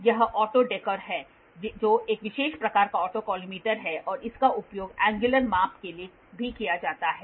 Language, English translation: Hindi, So, this is auto dekkor, so auto dekkor is a special kind of autocollimator this is also used for angular measurement